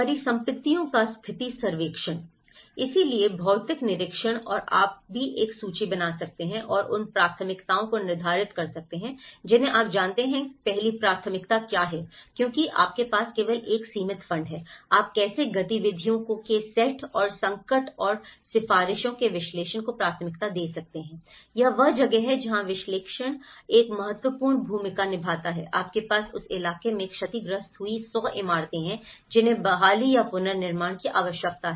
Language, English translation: Hindi, Condition survey of assets; so how physical inspection and also one can make an inventory and determining the priorities you know, what is the first priority because you only have a limited fund, how you can priorities the set of activities and analysis of distress and recommendations so, this is where the analysis plays an important role, you have hundred buildings damaged in the locality which needs restoration or reconstruction